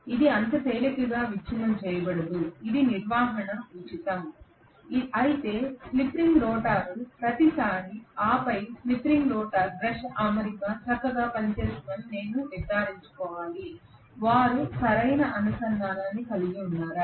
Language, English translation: Telugu, It cannot be broken so easily, it is maintenance free whereas slip ring rotor every now and then I have to make sure that the brush arrangement around with the slip ring is working fine, whether they are making proper contact